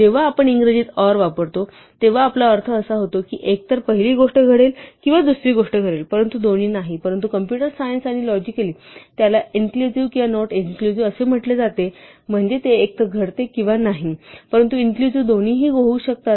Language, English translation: Marathi, It is when we use or in English we usually mean either the first thing will happen or the second thing will happen, but not both, but in computer science and logic or is a so, called inclusive or not exclusive, its not exclusively one will happen or the other, but inclusive both may happen